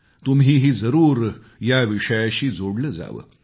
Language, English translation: Marathi, You too should connect yourselves with this subject